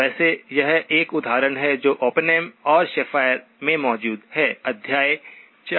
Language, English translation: Hindi, By the way, this is an example that is present in Oppenheim and Schafer, chapter 4